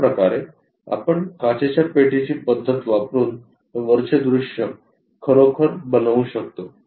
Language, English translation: Marathi, Now let us use glass box method to construct these views